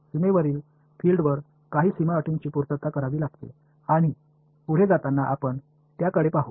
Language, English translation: Marathi, Some boundary conditions have to be satisfied by the field on the boundary and we will look at those as we go